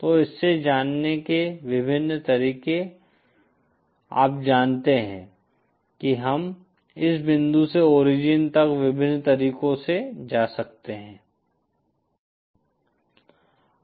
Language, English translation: Hindi, So the various ways for going from this you know we can go from this point to the origin in various ways